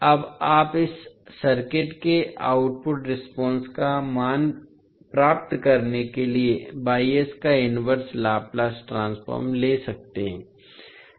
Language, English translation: Hindi, Now, you can take the inverse Laplace transform of Y s to get the value of output response of this circuit